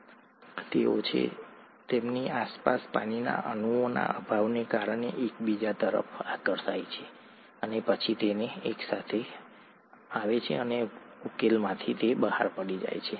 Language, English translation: Gujarati, They are, they get attracted to each other because of the lack of water molecules that surround them and then they come together and fall out of solution